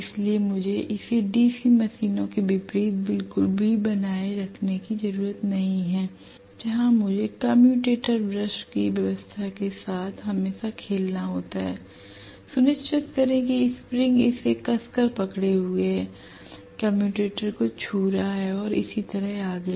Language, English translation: Hindi, So I do not have to maintain it at all unlike DC machines where I have to play around always with the commutator brush arrangement, make sure that the spring is holding it tight, touching the commutator and so on and so forth